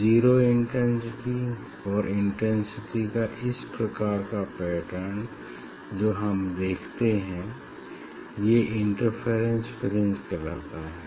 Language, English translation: Hindi, this kind of pattern will see and that is called interference fringe